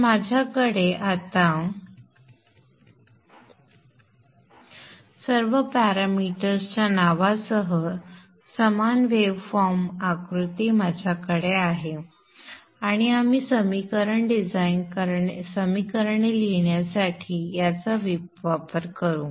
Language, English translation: Marathi, So I have with me the same waveform figure with all the parameters named here with me and we shall use this for writing the equations design equations